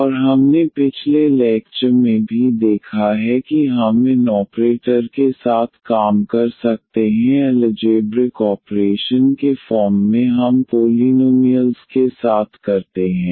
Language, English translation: Hindi, And we have also observed in the last lecture that we can work with these operators D as the algebraic operations we do with the polynomials